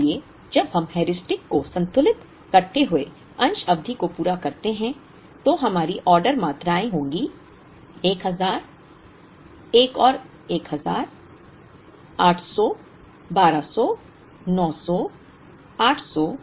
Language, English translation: Hindi, So, when we complete the part period balancing Heuristic our order quantities will be: 1000, another 1000, 800, 1200, 900, 800, 1000, 1200, 1300 and 800